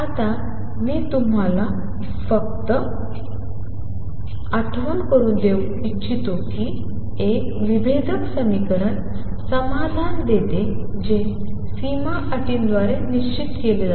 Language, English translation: Marathi, Now, I just want to remind you that a differential equation gives solution that is fixed by boundary conditions